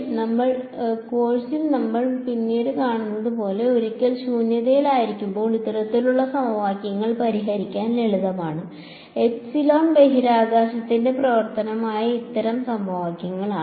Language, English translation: Malayalam, So, as we will see later on in the course, these kinds of equations the once in vacuum are simpler to solve then these kinds of equations where epsilon is the function of space